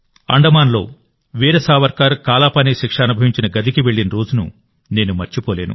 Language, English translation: Telugu, I cannot forget the day when I went to the cell in Andaman where Veer Savarkar underwent the sentence of Kalapani